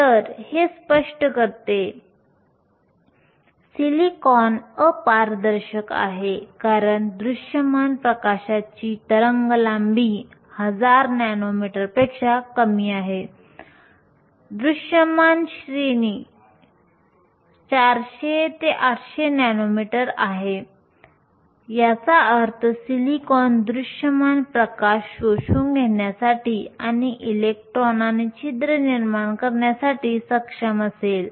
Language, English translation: Marathi, So, this explains, while silicon is opaque because visible light has a wavelength less than 1000 nanometers, the visible range is from 400 to 800 nanometers, which means silicon will be able to absorb the visible light and produce electrons and holes